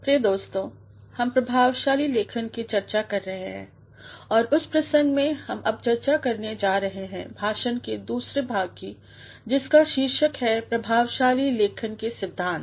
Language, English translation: Hindi, Dear friends, we are discussing Effective Writing and in that context, we are now going to discuss the second part of our lecture entitled principles of effective writing